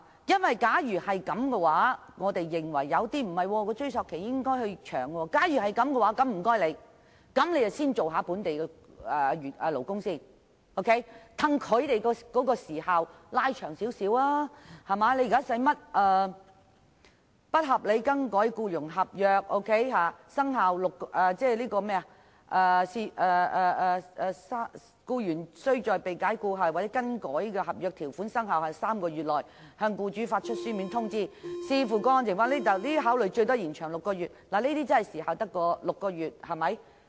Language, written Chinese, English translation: Cantonese, 若有人認為應延長追溯期，那麼我們便應先保障本地勞工，延長有關時限，因為現時僱員被不合理更改僱傭合約，舉報時限只有6個月，必須在被解僱後或被更改的合約條款生效後3個月內向僱主發出書面通知；如果有充分理由，勞工處處長可把限期再延長6個月。, If it is proposed that the time limit be extended then we should first protect local employees by extending the time limit for reporting unreasonable variation of the terms of the contract of employment which is currently three months after the dismissal or the variation of terms or six months with the Commissioner for Labours permission